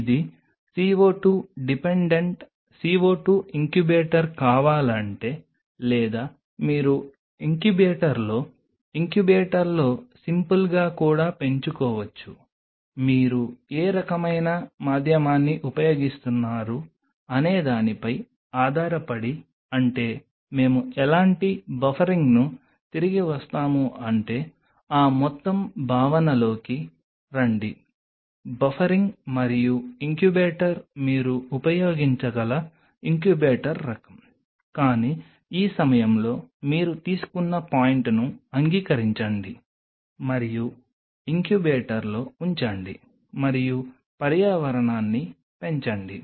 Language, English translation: Telugu, If it is a CO 2 dependent CO 2 incubator is needed or you can also grow it in incubator simple here in incubator depending upon what kind of medium you are using I mean what kind of buffering we will come back come later into that whole concept of buffering and incubator kind of incubator what you can use, but at this point just accept the point you just take it and put it in the incubator and the environment to grow